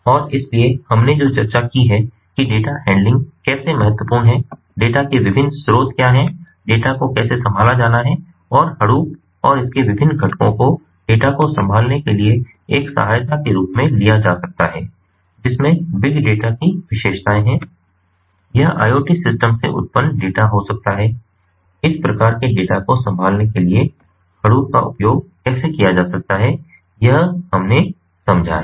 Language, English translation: Hindi, some of these references are there and with this ah we come to an end, and so what we have discussed is how data handling is important, what are the different sources of data, how data have to be handled and how hadoop and its different components can come as an aid for handling data, which is, which has the features of big data, data that is generated from the iot systems, how it can be, ah, how hadoop can be used in order to handle this kind of data